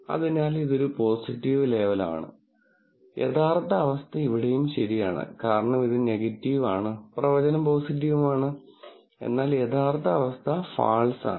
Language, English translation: Malayalam, So, this is a positive label, this is the actual condition is also true here because this is negative and true